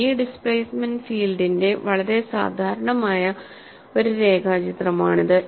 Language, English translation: Malayalam, This is a very typical sketch of v displacement field